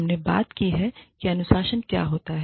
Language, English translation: Hindi, We talked about, how to administer discipline